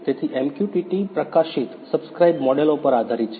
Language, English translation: Gujarati, So, MQTT is based on publish subscribe models